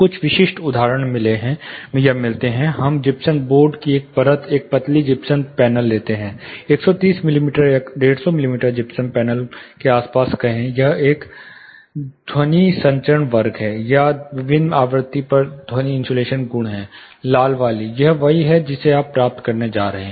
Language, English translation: Hindi, (Refer Slide Time: 28:41) Getting certain specific examples, let us take a single layer of gypsum board, a thin gypsum panel; say around 130 mm or 150 in mm gypsum panel, this is a absorption you know sound transmission class, or the sound insulation property at different frequency, the red one, this is what you are going to get